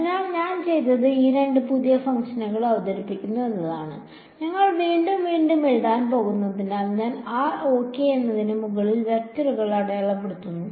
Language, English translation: Malayalam, So, what I have done is I have introduced these two new functions, also because we are going to write r and r prime again and again and again, I have drop the vectors sign over r ok